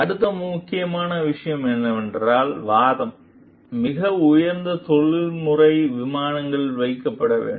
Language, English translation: Tamil, Next important point is the argument should be kept on a very high professional plane